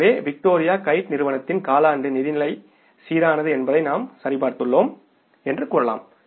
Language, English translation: Tamil, So it means you can say that we have verified that the quarterly financial position of this company, Victoria Kite company, is balanced